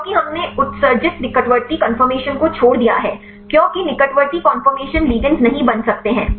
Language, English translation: Hindi, Because we emitted the discarded the close conformation because close conformation ligand cannot bind